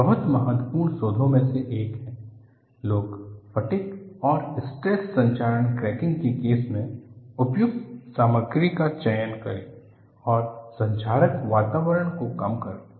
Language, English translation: Hindi, It is one of the very important research, people do in fatigue and in the case of stress corrosion cracking, select the suitable material and minimize the corrosive environment